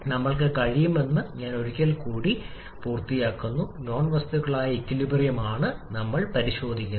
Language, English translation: Malayalam, And once we know that we can properly draw the corresponding modified cycle